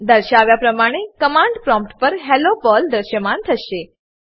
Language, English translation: Gujarati, Hello Perl will get printed on the command prompt,as shown